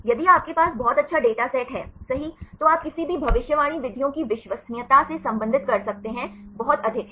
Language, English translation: Hindi, If you have very good data sets right, then you can relate the reliability of any prediction methods is very high right